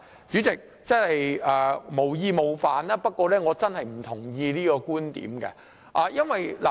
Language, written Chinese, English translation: Cantonese, 主席，我無意冒犯，不過我真的不同意這個觀點。, Chairman with due respect I really cannot agree to this point of view